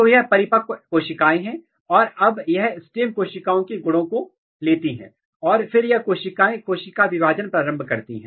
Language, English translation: Hindi, So, these are the mature cells, now they are taking stem cell property and then these cells start the cell division